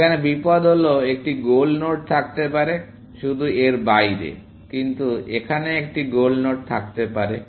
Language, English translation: Bengali, The danger here is that there may be a goal node, just beyond this, but there may be a goal node, here